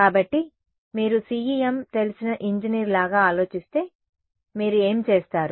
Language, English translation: Telugu, So, if you are thinking like an engineer who knows CEM how, what would you do